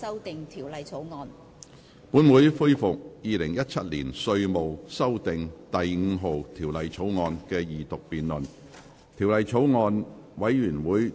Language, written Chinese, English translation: Cantonese, 本會恢復《2017年稅務條例草案》的二讀辯論。, This Council resumes the Second Reading debate on the Inland Revenue Amendment No